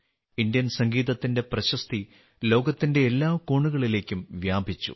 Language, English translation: Malayalam, The fame of Indian music has spread to every corner of the world